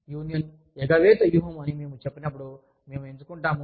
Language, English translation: Telugu, When we say, union avoidance strategy, we choose